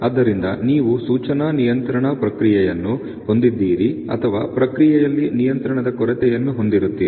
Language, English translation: Kannada, So, you have either have an indication control process or a lack of control in the process